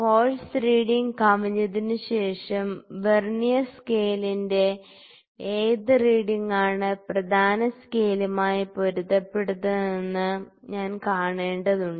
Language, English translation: Malayalam, After exceeding the force reading it, what reading of the Vernier scale is coinciding with the main scale I need to see